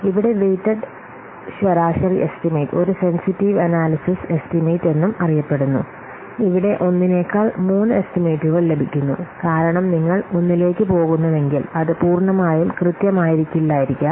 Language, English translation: Malayalam, Here weighted average estimation is also known as a sensitive analysis estimation and here three estimates are obtained rather than one just because if you are going one it may be what it may not be fully accurate